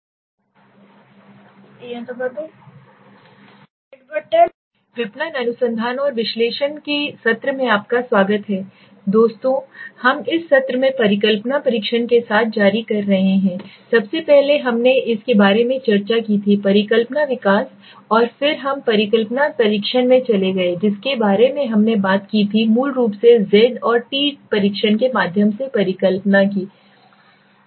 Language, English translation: Hindi, Welcome friends to the session marketing research and analysis in the currently in the last session we were continuing with hypothesis testing, previous to that we had discussed about hypothesis development and then we went into hypothesis testing in which we spoke about basically the hypothesis testing through z, t test